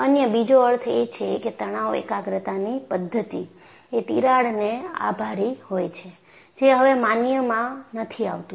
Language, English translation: Gujarati, Other meaning is the methodology of stress concentration to ascribe to a crack, no longer is valid